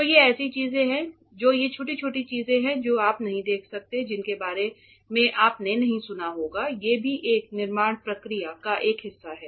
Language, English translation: Hindi, So, these are the things these are small small things which you may not come across, which you may not hear about that are also a part of a fabrication process